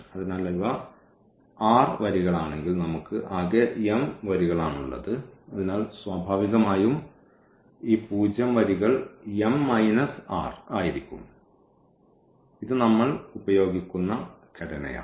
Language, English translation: Malayalam, So, if these are the r rows and we have total m rows, so, naturally these zero rows will be m minus r this is the structure which we will be using